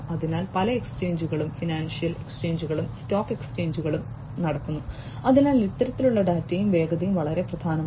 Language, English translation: Malayalam, So, many exchanges, you know so many you know financial exchanges are carried on in the stock exchanges, so you know the speed is also very important of this kind of data